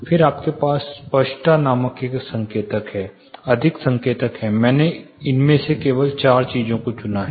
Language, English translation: Hindi, Then you have an indicator call clarity there are more indicators, I have only chosen four of these things to talk about